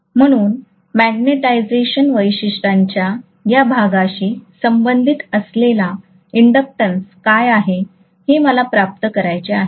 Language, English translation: Marathi, So I want to get what is the inductance corresponding to these portions of the magnetization characteristics